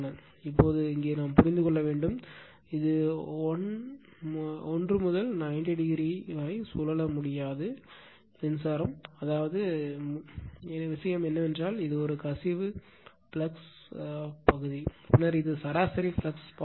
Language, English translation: Tamil, So, whenever, now here we have to understand your I cannot revolve this 1 to 90 degree, I will tell you that first thing is that this is the leak[age] leakage flux part is also solve, and then this is the mean flux path